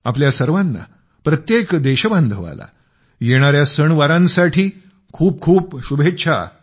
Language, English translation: Marathi, Wishing you all, every countryman the best for the fortcoming festivals